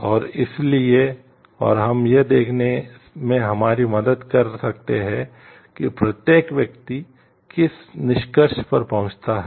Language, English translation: Hindi, And so, and we can help us to see what conclusion one reaches